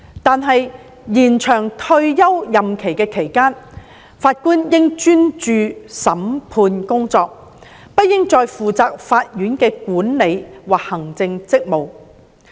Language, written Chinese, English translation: Cantonese, 但是，在延展退休任期的期間，法官應專注審判工作，不應再負責法院的管理及行政職務。, However they think that during the extended term of office Judges should focus on judicial duties and should not be responsible for management and administrative work